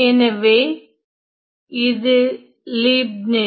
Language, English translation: Tamil, So, it was by Leibniz